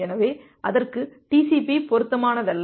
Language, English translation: Tamil, So, for that TCP was not suitable